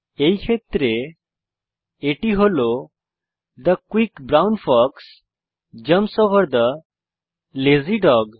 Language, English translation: Bengali, In this case it is The quick brown fox jumps over the lazy dog